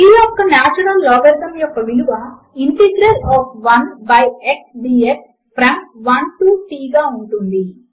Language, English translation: Telugu, The natural logarithm of t is equal to the integral of 1 by x dx from 1 to t